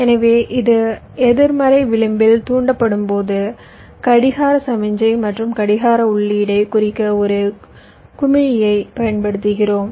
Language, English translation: Tamil, so when it is negative edge trigged, we usually use a bubble at the clock signal, clock input to indicate this